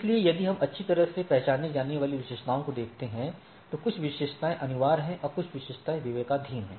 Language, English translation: Hindi, So, if we look at the well known attributes, some of the attributes are mandatory and some of the attribute are disc discretionary